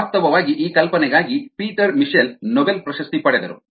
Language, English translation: Kannada, in fact, peter mitchell won the nobel prize for this hypothesis